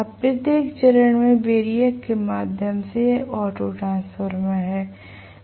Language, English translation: Hindi, Now, from each of the phases through the variac this is the auto transformer